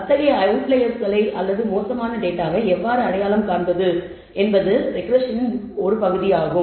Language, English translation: Tamil, How to identify such outliers or bad data is also part of the regression